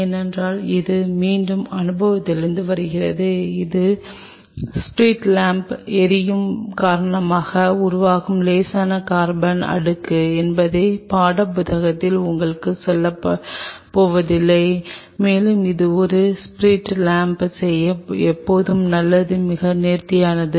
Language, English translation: Tamil, Because again this is coming from experience this is not the textbooks are going to tell you that mild carbon layer which is formed because of that flaming in the spirit lamp and it is always given good to do it in a spirit lamp it was like kind of very neatly